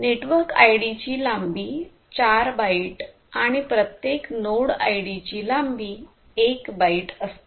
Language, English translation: Marathi, The network ID is of length 4 bytes and node ID each of these node IDs will have a length of 1 byte